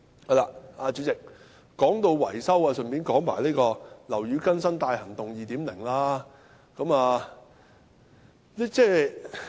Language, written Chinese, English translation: Cantonese, 代理主席，說到維修，我順道談談"樓宇更新大行動 2.0"。, Speaking of repairs and maintenance Deputy President let me talk about Operation Building Bright 2.0 in passing